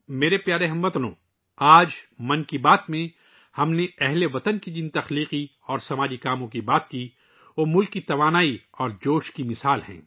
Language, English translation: Urdu, My dear countrymen, the creative and social endeavours of the countrymen that we discussed in today's 'Mann Ki Baat' are examples of the country's energy and enthusiasm